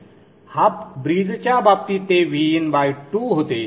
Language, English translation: Marathi, In the case of the half bridge it was VIN by 2